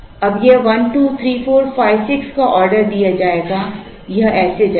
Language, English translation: Hindi, Now, this will be ordered 1 2 3 4 5 6 like this it will go